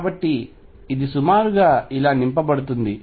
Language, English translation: Telugu, So, this is going to be roughly filled like this